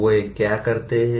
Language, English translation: Hindi, What would they do